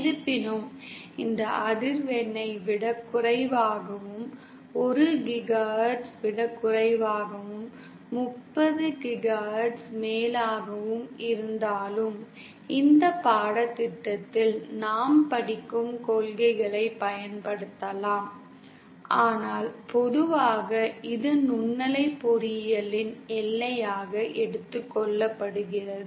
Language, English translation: Tamil, Although, both lower than this frequency and above lower than 1 GHz and above 30 GHz also, the principles that we study in this course can be applied but usually this is taken as the boundary of the microwave engineering